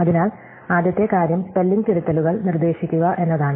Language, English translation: Malayalam, So, the first thing is to suggest spelling corrections